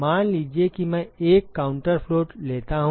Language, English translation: Hindi, Suppose I take a counter flow ok